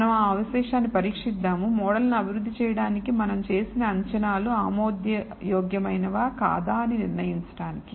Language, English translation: Telugu, So, we will examine the residual to kind of judge, whether the assumptions were made in developing the model are acceptable or not